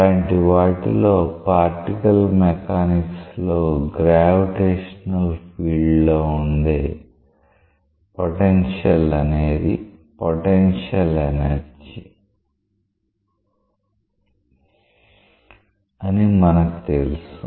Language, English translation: Telugu, In such, particle mechanics in a gravitational field that potential is the potential energy that we know